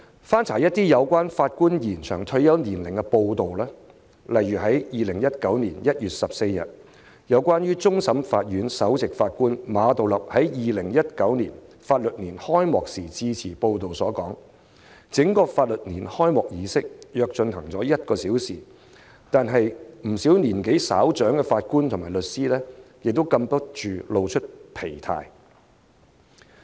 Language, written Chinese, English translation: Cantonese, 翻查一些有關延展法官退休年齡的報道，例如2019年1月14日有關終審法院首席法官馬道立在2019年法律年度開啟典禮致辭，報道指出，法律年度開啟儀式約進行了1小時，不少年紀稍長的法官和律師已禁不住露出疲態。, I have looked up the reports on the extension of retirement ages of Judges . For example the speech made by Geoffrey MA Chief Justice of the Court of Final Appeal at the Ceremonial Opening of the Legal Year 2019 on 14 January 2019 . It was reported that though the Ceremonial Opening lasted about an hour a number of Judges and lawyers who are more senior in age looked tired